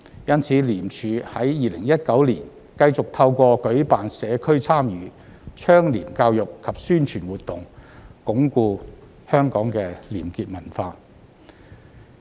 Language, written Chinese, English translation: Cantonese, 因此，廉署在2019年繼續透過舉辦社區參與、倡廉教育及宣傳活動，鞏固香港的廉潔文化。, ICAC thus continued its robust effort to entrench the culture of probity in society through public engagement education and publicity in 2019